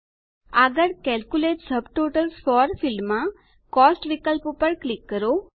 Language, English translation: Gujarati, Next, in the Calculate subtotals for field click on the Cost option